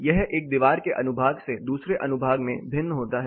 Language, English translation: Hindi, This considerably varies from one wall section to the other wall section